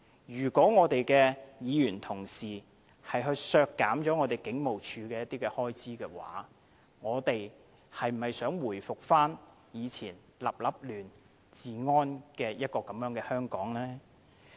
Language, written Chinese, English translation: Cantonese, 如果議員同事要削減香港警務處某些開支，他們是否想回復過往治安亂成一團的香港呢？, If Members want to cut certain expenditure of HKPF I must ask if their intention is to plunge Hong Kong back into the chaos in the past